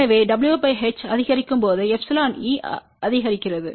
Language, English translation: Tamil, So, as w by h increases epsilon e increases